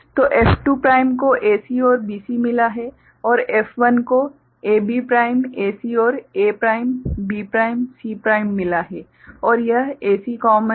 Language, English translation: Hindi, So, F2 prime has got AC and BC and F1 has got AB prime AC and A prime B prime C prime and this AC is common